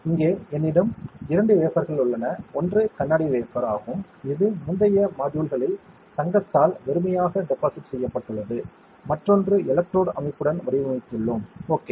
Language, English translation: Tamil, Here I have two wafers; one is a glass wafer which I have shown you in previous modules which is blank deposited with gold, and another one we have patterned with electrode structure, ok